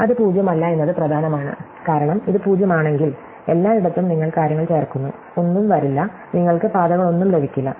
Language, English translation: Malayalam, It is important that it is not 0 because remember, that if it is 0, then everywhere you are just adding things and nothing will come, you will get no paths